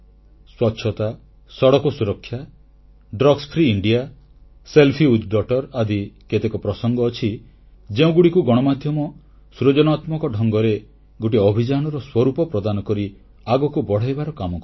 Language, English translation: Odia, Issues such as cleanliness, Road safety, drugs free India, selfie with daughter have been taken up by the media and turn into campaigns